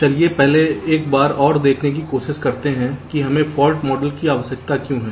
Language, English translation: Hindi, so let us first try to see once more that why we need a fault model